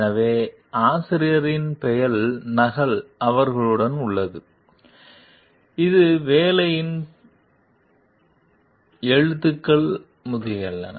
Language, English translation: Tamil, So, the copy the author s name remains with them; it is like the piece of work, the writings etcetera